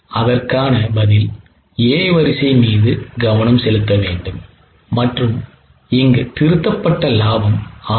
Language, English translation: Tamil, The answer is A should be focused and the revised profit is 170